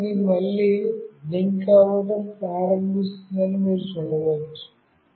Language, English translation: Telugu, And you can see that it has started to blink again,